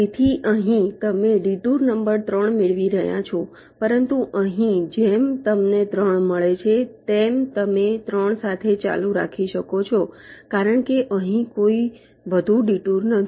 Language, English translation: Gujarati, so here, detour number three, you are getting, but here, as you get three, you can continue with three because this is no further detour here